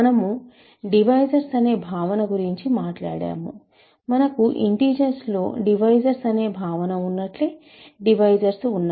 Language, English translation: Telugu, So, we talked about the notion of divisors, just like we have the notion of divisors in integers we have divisors